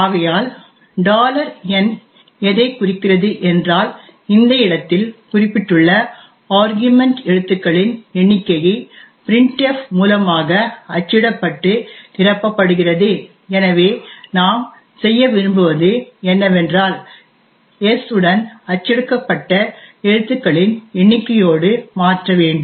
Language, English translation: Tamil, So the $n indicates that at the location specified by an argument the number of characters that printf has printed would be filled, so what we do intend to do is that we want to modify s with the number of characters that has been printed